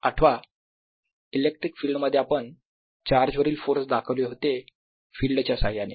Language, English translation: Marathi, remember, in electric field represented force on a charge by the field